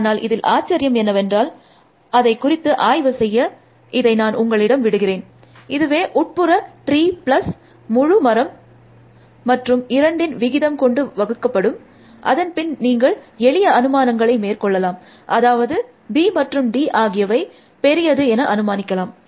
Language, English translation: Tamil, But surprisingly, I will leave that for you to work out, so this is the internal tree plus the full tree and on the divided by two average, and then you can makes simplifying assumptions, assuming that b and d are large